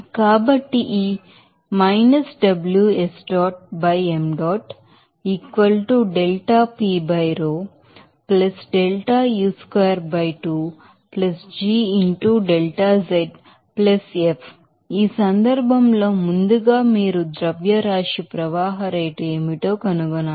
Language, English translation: Telugu, So, this In this case first of all you have to find out what will be the mass flow rate